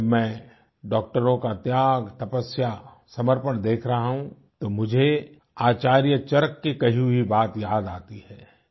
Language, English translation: Hindi, Today when I witness the sacrifice, perseverance and dedication on part of doctors, I am reminded of the touching words of Acharya Charak while referring to doctors